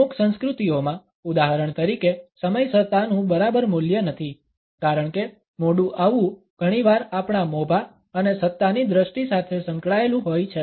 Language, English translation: Gujarati, In certain cultures for example, punctuality is not exactly a value because late coming is often associated with our status and perceptions of power